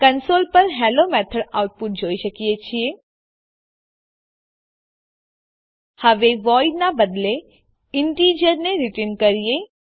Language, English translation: Gujarati, We see the output Hello Method on the console Now let us return an integer instead ofvoid